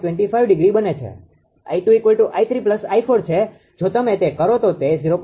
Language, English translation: Gujarati, 25 degree, I 2 is equal to i 3 plus i for if you do so, it will become 0